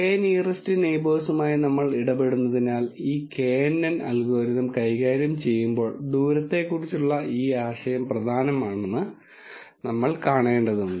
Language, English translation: Malayalam, Because we are dealing with the K nearest neighbours we would have seen this notion of distance is important when we are dealing with this knn algorithm